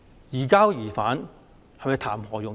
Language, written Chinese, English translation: Cantonese, 移交疑犯談何容易？, Is the surrender of suspects really that simple?